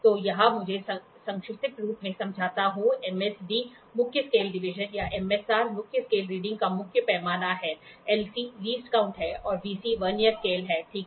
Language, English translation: Hindi, So, here let me explain the acronym; MSD is the main scale reading MSD or MSR, Main Scale Division, ok, LC is the Least Count and VC is the Vernier Scale, ok